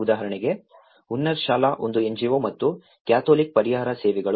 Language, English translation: Kannada, For example, Hunnarshala an NGO and Catholic Relief Services